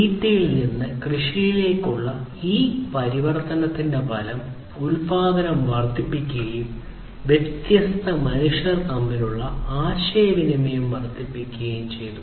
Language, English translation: Malayalam, So, the result of this transformation from foraging to farming was that there was increased production, increased communication between different humans, and so on